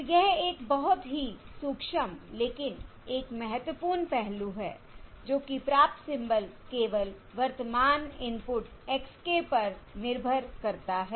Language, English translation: Hindi, So this is a very subtle but an important aspect: that the received symbol depends only on the current input x k